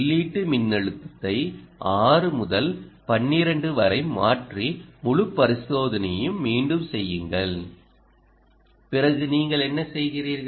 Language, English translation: Tamil, you go and change the input voltage from six to twelve and repeat the whole experiment